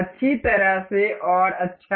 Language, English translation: Hindi, Well and good